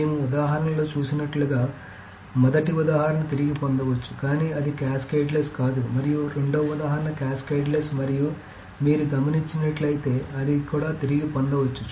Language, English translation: Telugu, As we saw in the example that the first example was recoverable but not cascadless and the second example was cascadless and if you had noticed it is also recoverable